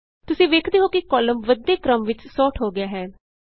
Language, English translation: Punjabi, You see that the column gets sorted in the ascending order